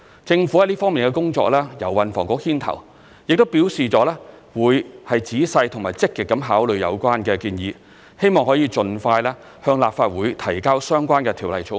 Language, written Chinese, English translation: Cantonese, 政府在這方面的工作由運輸及房屋局牽頭，亦表示會仔細及積極地考慮有關建議，希望可以盡快向立法會提交相關的條例草案。, The Transport and Housing Bureau which led the work on this subject said it would carefully and actively consider the recommendations put forward by the task force and introduce the relevant bill into the Legislative Council as soon as possible